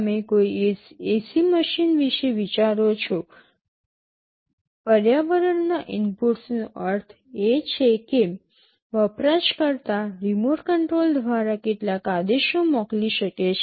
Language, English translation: Gujarati, You think of an ac machine; the inputs from the environment means, well the user can send some commands via the remote control